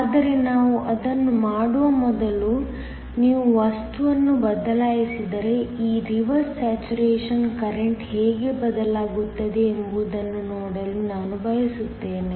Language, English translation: Kannada, But, before we do that I want to see how this reverse saturation current will change, if you change the material